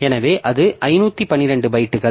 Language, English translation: Tamil, So, that is 512 bytes